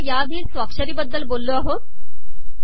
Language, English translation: Marathi, We have already talked about the signature